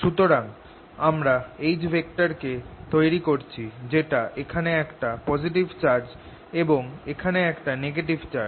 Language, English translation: Bengali, so h is going to be like we are giving rise to an h which is with positive charge here and negative charge here